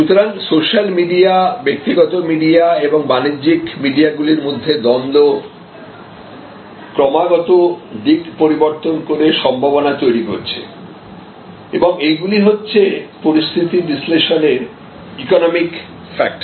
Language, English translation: Bengali, So, this dichotomy between or the tussle between social media, personal media and a commercial media may constantly changing direction giving possibilities creating possibilities and those are all the different economic factors, that is part of your situation analysis